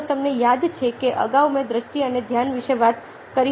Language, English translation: Gujarati, if you remember, earlier i talked about perception and attention